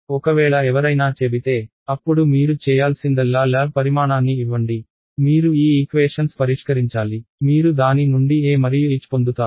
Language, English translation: Telugu, If I if someone says ok, now give me the lab quantity all you have to do is supposing you solve these equations you got some E and H out of it